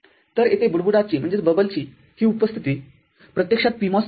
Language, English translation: Marathi, So, this presence of bubble over here actually signifies PMOS